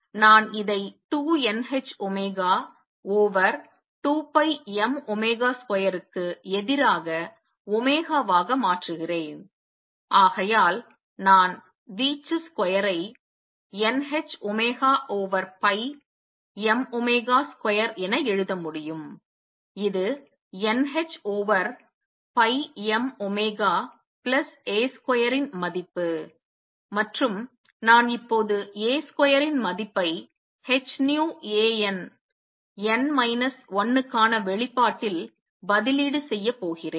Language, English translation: Tamil, I change this to omega against 2 n h omega over 2 pi m omega square and therefore, I can write the amplitude square as n h omega over pi m omega square which is n h over pi m omega plus A square value and now I am going to substitute that A square value in the expression for h nu A n, n minus 1